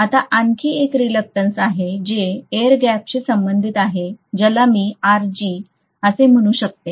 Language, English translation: Marathi, Now there is one more reluctance which is corresponding to the air gap which I may call as Rg